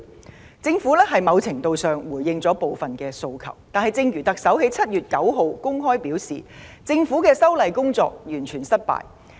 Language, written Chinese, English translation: Cantonese, 儘管政府在某程度上回應了部分訴求，但正如特首在7月9日公開承認，政府的修例工作"完全失敗"。, The Government did to a certain extent respond to some of the requests . However as the Chief Executive openly admitted on 9 July the legislative amendment exercise of the Government has failed completely